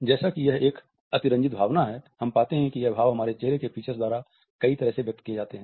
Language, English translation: Hindi, As it is an exaggerated emotion, we find that there are many ways in which it is expressed in an exaggerated manner by our facial features